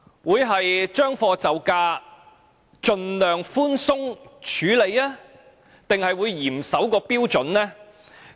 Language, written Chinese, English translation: Cantonese, 會"將貨就價"，盡量寬鬆處理，還是會嚴守標準？, Will the Government adopt a compromised stance and handle the matter leniently or will it enforce the standards strictly?